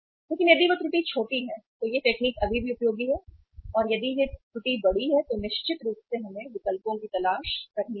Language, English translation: Hindi, But if that error is minute then the technique is still useful but if the error is big then yes certainly we will have to look for the alternatives